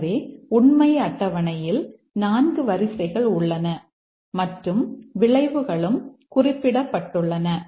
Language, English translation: Tamil, So, we have 4 rows in the truth table and this is the outcome